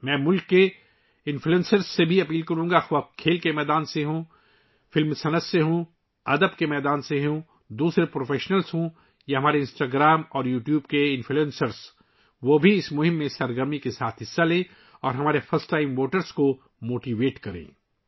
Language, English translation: Urdu, I would also urge the influencers of the country, whether they are from the sports world, film industry, literature world, other professionals or our Instagram and YouTube influencers, they too should actively participate in this campaign and motivate our first time voters